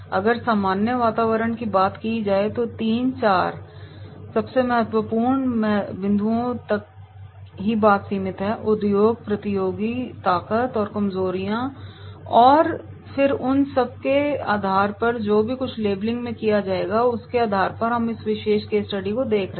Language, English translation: Hindi, The general environment, limit to 3 to 4 most important points, the industry, the competitors, the strengths, the weaknesses and then on basis of these particular whatever these labelling is done and we will summarise the case study and on basis of the case study we will go the particular case study as an example here